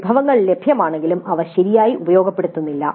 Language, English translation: Malayalam, Even though resources are available they are not utilized properly